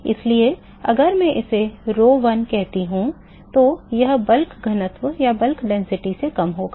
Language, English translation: Hindi, So, if I call it rho one this will be lesser than the bulk density